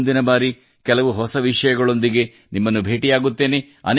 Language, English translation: Kannada, See you next time, with some new topics